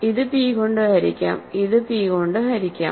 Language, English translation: Malayalam, So, this is divisible by p, this is divisible by p